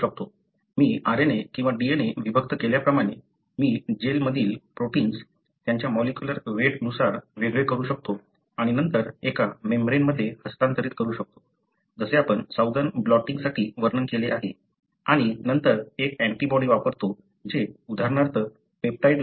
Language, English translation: Marathi, Like I separated RNA or DNA, I can also separate protein according to their molecular weight in the gel and then transfer to a membrane, just the way we described for Southern blotting and then use an antibody which would recognize, for example a peptide